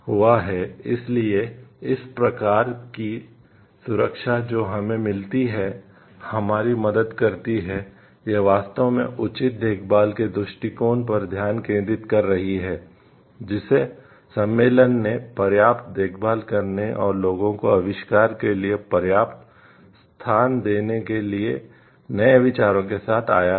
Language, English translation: Hindi, So, these kind of protection that we get, helps us so, this is actually focusing on the due care this is actually focusing on the due care approach, which the convention has taken to take enough care and give enough space for the people to come up with inventions, come up with new ideas and thoughts